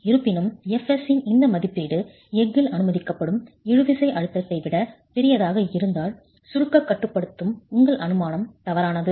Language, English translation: Tamil, However, if this estimate of fs is larger than the permissible tensile stress in steel, then your assumption is wrong that compression controls